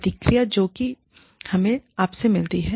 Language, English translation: Hindi, The feedback, that we get from you